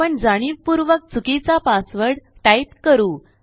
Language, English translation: Marathi, Ill type my password wrong on purpose